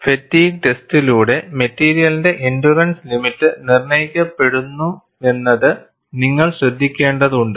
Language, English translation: Malayalam, And you will have to note that, endurance limit of the material is determined by a controlled fatigue test